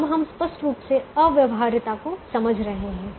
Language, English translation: Hindi, now we are explicitly capturing the infeasibility